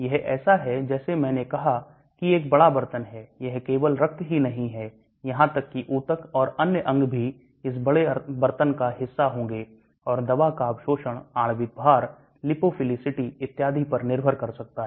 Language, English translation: Hindi, It is like I said a big pot, it is not only the blood even the tissues and other organs will be part of this big pot and the drug can get absorbed depending upon the molecular weight and lipophilicity and so on